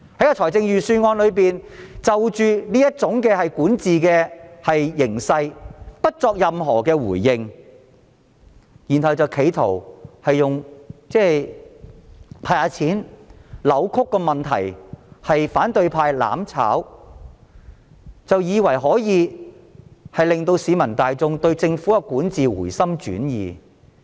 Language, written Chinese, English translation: Cantonese, 然而預算案沒有就這種管治形勢作出任何回應，企圖以"派錢"扭曲問題，指反對派"攬炒"，以為可以令市民對政府的管治回心轉意。, However the Budget has not responded to this governance situation but tries to distort the problem by disbursing money and accusing the opposition camp of mutual destruction thinking that people can change their views about the Governments governance